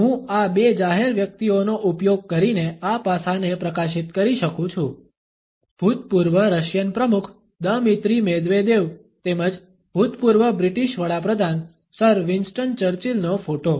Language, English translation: Gujarati, I can highlight this aspect by using these two public figures; the photograph of the former Russian president Dmitry Medvedev as well as that of Sir Winston Churchill, the former British prime minister